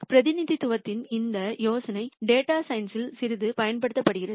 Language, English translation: Tamil, So, this idea of represen tation is used quite a bit in data science